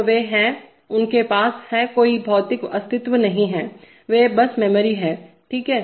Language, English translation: Hindi, So they are, they have no physical, they have, they have no physical existence, they are simply just memories, okay